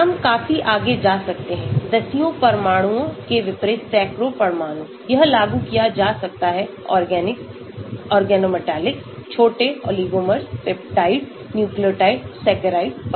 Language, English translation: Hindi, We can go quite a lot; hundreds of atoms unlike tens of atoms , this can be applied to organics, organometallic, small oligomers, peptides, nucleotide, saccharides